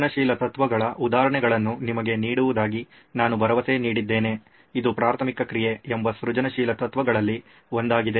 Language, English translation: Kannada, I promised to give you examples of inventive principles this is one of the inventive principles called preliminary action